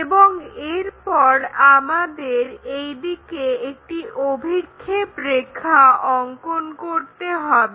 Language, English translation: Bengali, And, then we require a projector line in this way